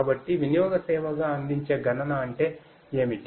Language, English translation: Telugu, So, computing offered as a utility service means what